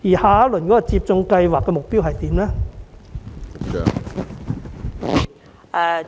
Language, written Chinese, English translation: Cantonese, 下一輪接種計劃目標為何？, What is the target of the next phase of the vaccination programme?